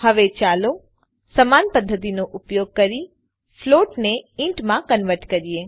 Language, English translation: Gujarati, Now let us convert float to an int, using the same method